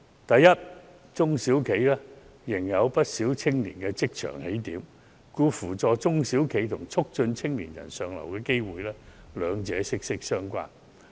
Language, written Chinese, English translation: Cantonese, 第一，中小企仍然是不少青年進入職場的起點，故此扶助中小企與促進青年人向上流動，兩者息息相關。, First of all many young people still have their career starting from SMEs . Assisting SMEs and promoting upward mobility of young people are thus closely related